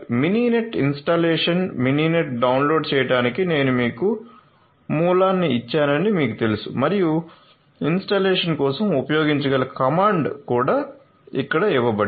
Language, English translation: Telugu, So, Mininet installation you know I have given you the source for downloading Mininet and also for installation the comment that can be used is also given over here